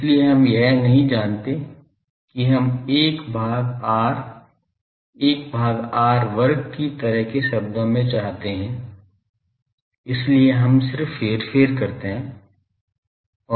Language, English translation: Hindi, So, we do not want that we want 1 by r, 1 by r square like that terms, so we just manipulate